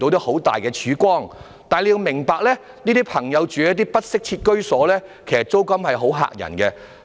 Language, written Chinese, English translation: Cantonese, 可是，政府要明白，這些人士所租住的不適切居所的租金十分嚇人。, Nevertheless the Government ought to understand these people are paying outrageous rents for such inadequate housing